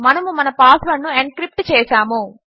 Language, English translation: Telugu, We have encrypted our password